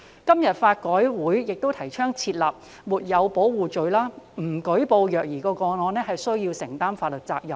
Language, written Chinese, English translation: Cantonese, 香港法律改革委員會今天也提倡訂立"沒有保護罪"，令不舉報虐兒個案須承擔法律責任。, The Law Reform Commission of Hong Kong has also advocated the introduction of the offence of failure to protect to make the failure to report child abuse cases a liable act